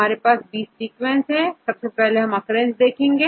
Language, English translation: Hindi, So, we have a sequence, then we need to get the occurrence first